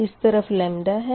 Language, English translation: Hindi, this is the lambda